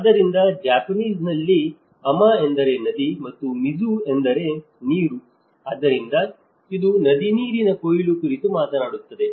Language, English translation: Kannada, So, in Japanese Ama means river and mizu is water so, it talks about the river water harvesting